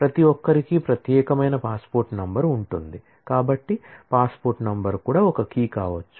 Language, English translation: Telugu, Everybody has a unique passport number